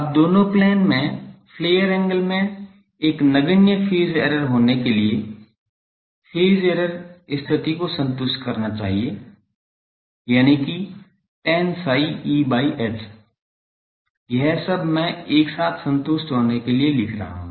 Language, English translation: Hindi, Now, in order to have a negligible phase error in the flare angle in both plane should satisfy the phase error condition, that tan psi E for H I am writing to all this to be together satisfied